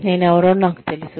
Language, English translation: Telugu, I know, who I am